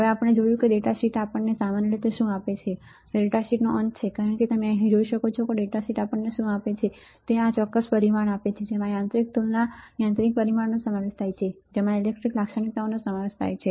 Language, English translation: Gujarati, Now since we have seen what the data sheet generally gives us right this is the end of the data sheet as you can see here what data sheet gives us is this particular parameters right including the mechanical comp mechanical dimensions, including the electrical characteristics right